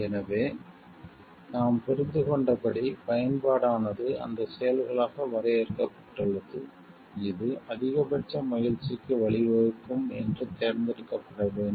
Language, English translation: Tamil, So, as we understand utilitarianism has been defined as those actions, which should be chosen that lead to maximum amount of happiness